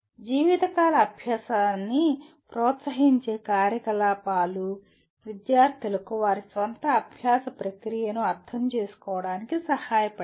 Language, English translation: Telugu, Activities that promote life long learning include helping students to understand their own learning process